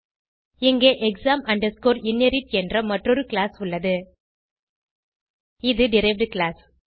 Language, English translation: Tamil, And here class exam inherit is the derived class